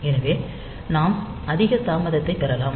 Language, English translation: Tamil, So, we can get hired higher delay